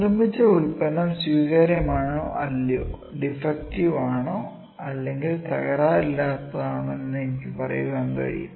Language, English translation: Malayalam, So, I can say whether the product that have produced is acceptable or non acceptable, whether it is defective, or non defective there is no in between, ok